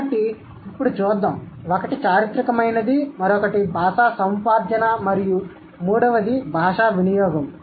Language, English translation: Telugu, So, one is historical, the other one is language acquisition, and the third one is language use